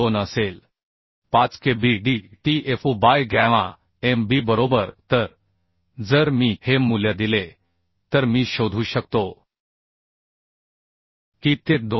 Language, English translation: Marathi, 5 Kb dtfu by gamma mb right So if I provide this value I can find out that is 2